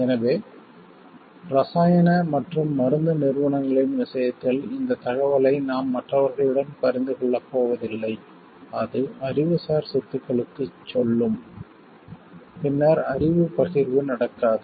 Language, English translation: Tamil, So, in case of chemical and pharmaceutical entities and you are not going to share this information with others based on like it will tell to the intellectual property, then knowledge sharing cannot happen